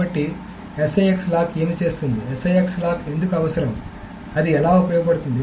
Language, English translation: Telugu, So what does six lock, why is six lock needed, how it is used for